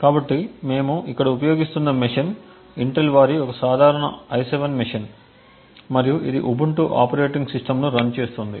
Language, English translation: Telugu, So, the machine that we are using over here is a regular i7 machine from Intel and it is running an Ubuntu operating system